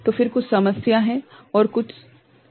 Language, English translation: Hindi, So, then there is some issue some problem some were ok